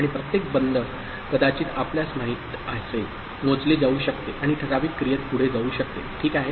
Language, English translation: Marathi, And each closure might you know, can get counted and lead to certain action going forward, ok